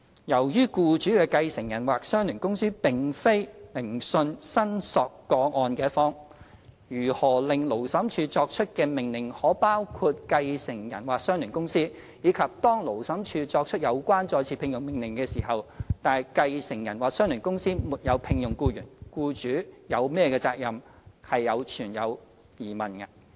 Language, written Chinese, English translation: Cantonese, 由於僱主的繼承人或相聯公司並非聆訊申索個案的一方，如何令勞審處作出的命令可包括繼承人或相聯公司，以及當勞審處作出有關再次聘用命令時，但繼承人或相聯公司沒有聘用僱員，僱主有何責任，皆存在疑問。, Given that the employers successor or associated company is not a party to the proceedings relating to the employees claim there is doubt about how an order made by the Labour Tribunal may involve a successor or associated company and if such an order is made what the liability of the employer is if the successor or associated company fails to engage the employee